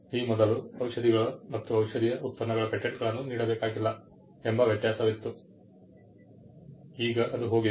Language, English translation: Kannada, Earlier, there was a distinction that product patents need not be granted for drugs and pharmaceuticals, now that is gone